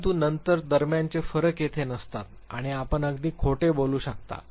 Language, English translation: Marathi, But then the intermediate variation is not there and to you could even lie